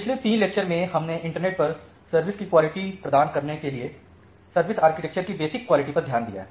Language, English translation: Hindi, So, in the last 3 lectures we have looked into the basic quality of service architecture to provide quality of service over the internet